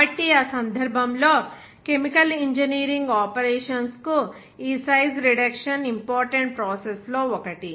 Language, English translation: Telugu, So, in that case, this size reduction is one of the important processes for Chemical Engineering operations